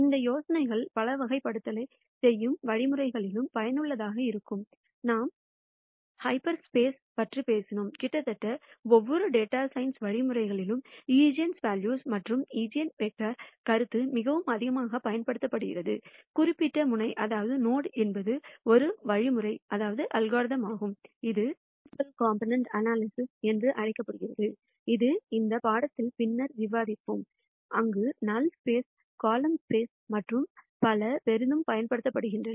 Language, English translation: Tamil, And many of these ideas are also useful in algorithms that do classification for example, we talked about half spaces and so on; and the notion of eigenvalues and eigenvectors are used pretty much in almost every data science algorithm, of particular node is one algorithm which is called the principle component analysis which we will be discussing later in this course where these ideas of connections between null space, column space and so on are used quite heavily